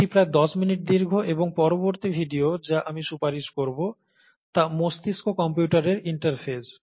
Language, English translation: Bengali, This is about ten minutes long, and the next video that I would recommend is on a brain computer interface